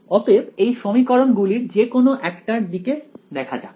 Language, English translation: Bengali, So, let us look at just one of those equations ok